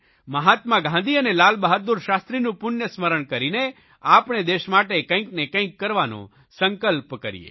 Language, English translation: Gujarati, Let us all remember Mahatma Gandhi and Lal Bahadur Shastri and take a pledge to do something for the country